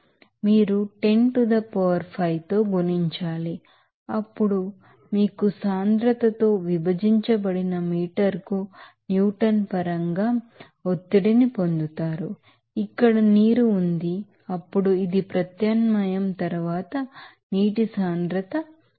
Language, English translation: Telugu, 7 bar you have to multiply by 10 to the power 5, then you will get the pressure in terms of Newton per meter squared divided by density is here water then it will be density of water is 1000 after substitution